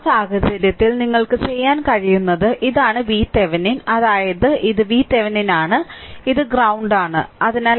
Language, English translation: Malayalam, So, in that case, what you what you can do is, so, this is V Thevenin means, this is your plus and this is your V Thevenin and this is your ground minus